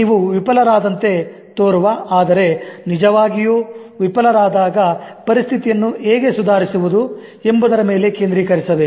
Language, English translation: Kannada, Focusing on how to improve a situation in which you have apparently failed but not actually failed